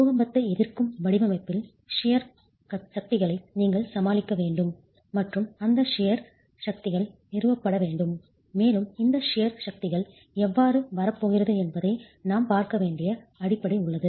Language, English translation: Tamil, You need to deal with shear forces in your earthquake resistant design and those shear forces have to be established and there is a basis that we need to look at on how these shear forces are going to be arrived at